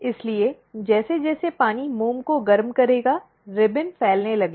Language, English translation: Hindi, So, as the water will heat the wax will, the ribbon will starts spreading